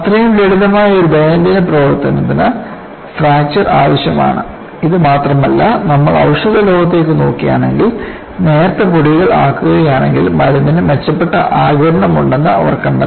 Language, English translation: Malayalam, So, such a simple day to day importantactivity requires fractures; not only this, see if you look at the medicinal world, they have found out there is better absorption of the medicine, if it is ground to find particles